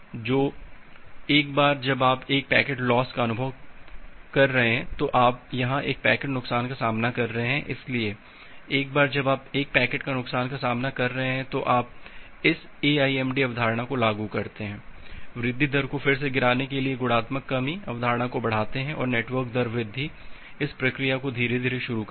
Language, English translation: Hindi, So, after that once you are experience a packet loss, you are experiencing a packet loss here, so once you are experiencing a packet loss, you apply this AIMD concept additive increase multiplicative decrease concept to drop the rate again and start this procedure again gradually increase the network rate ok